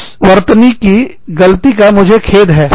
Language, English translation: Hindi, I am sorry, for this spelling mistake